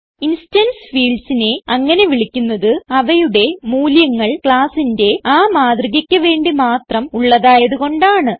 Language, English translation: Malayalam, Instance fields are called so because their values are unique to each instance of a class